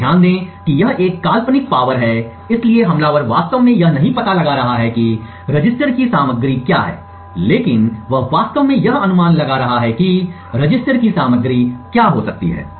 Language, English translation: Hindi, So, note that this is a hypothetical power consumed so the attacker is not actually finding out what the contents of the register is but he is just actually predicting what the contents of the register may be